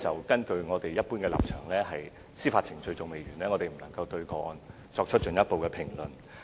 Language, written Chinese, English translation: Cantonese, 根據我們一般的立場，在司法程序完成前，我們不會對個案作進一步評論。, It is our normal stance that we will not comment further on the case before the judicial proceedings are over